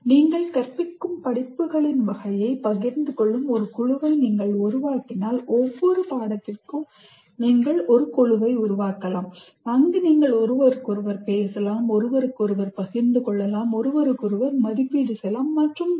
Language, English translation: Tamil, If you form a group where you share the type of courses that you teach, for each course you can form a kind of a group where you can talk to each other, share with each other, evaluate each other, and so on